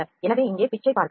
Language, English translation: Tamil, So, we are changing the pitch here 3